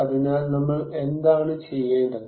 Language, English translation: Malayalam, So, what we need to do